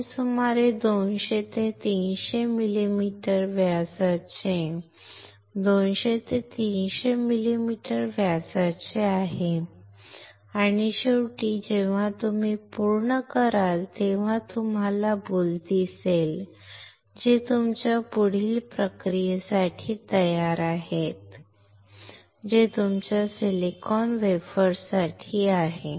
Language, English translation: Marathi, This is about 200 to 300 millimeter in diameter 200 to 300 millimeter in diameter and finally, when you when you are done you will see boule which is ready for your further processing; that is for your silicon wafers